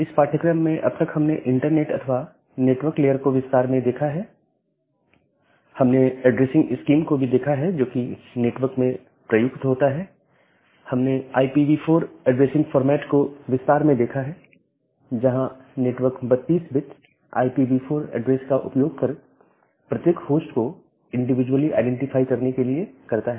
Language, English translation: Hindi, So, in this course till now we have looked into, the details of the internet layer or the network layer and we have looked into the addressing scheme, which is used in the network and we looked into the details of IP version 4 addressing format; where the network uses a 32 bit IPv4 address to individually identify each host